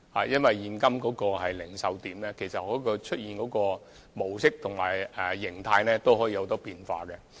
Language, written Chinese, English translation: Cantonese, 因為，現今零售點出現的模式及形態，都可以有很多變化。, It is because todays retail outlets can operate in many different modes and exist in numerous forms